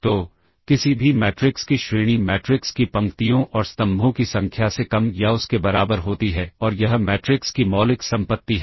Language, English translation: Hindi, So, rank of any matrix is less than or equal to minimum of the number of rows and columns of the matrix and this, the fundamental property of the matrix ok